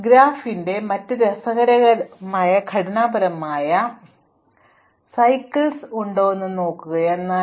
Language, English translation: Malayalam, Another interesting structural property of a graph is whether or not it has cycles